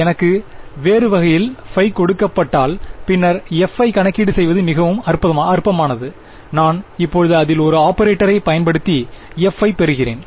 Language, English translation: Tamil, If it were the other way if I were given phi then this is trivial to calculate f right I just apply the operator on it and I get f